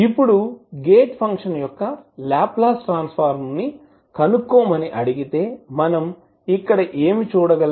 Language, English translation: Telugu, So now if you are asked to find out the Laplace transform of the periodic function that is F s what you will write